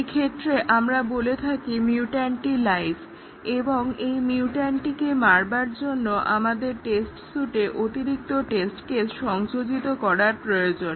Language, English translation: Bengali, Then, we say that the mutant is live and we need to add additional test cases to our test suite to kill the mutant